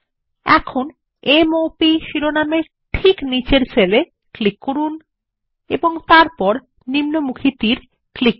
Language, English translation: Bengali, Now click on the cell just below the heading M O P and then click on the down arrow